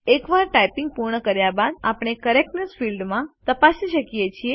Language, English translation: Gujarati, Once we complete typing, we can check the Correctness field.It displays the accuracy of typing